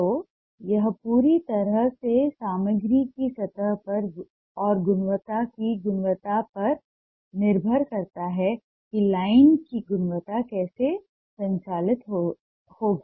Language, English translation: Hindi, so it totally depends on the quality of the surface and quality of the material how the quality of line will be operated